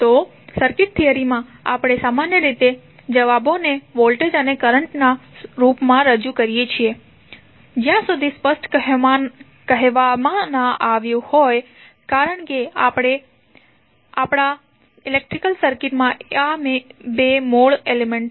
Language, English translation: Gujarati, So, in the circuit theory we generally represent the answers in the form of voltage and current until and unless it is specified because these are the two basic elements in our electric circuit